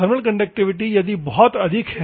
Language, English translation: Hindi, Thermal conductivity if it is very high